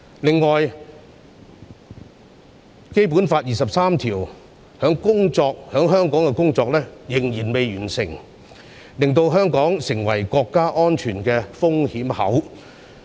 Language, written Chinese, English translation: Cantonese, 另外，《基本法》第二十三條在香港的立法工作仍未完成，令香港成為國家安全的風險口。, Besides legislation for Article 23 of the Basic Law in Hong Kong is yet to be completed turning Hong Kong into a national security loophole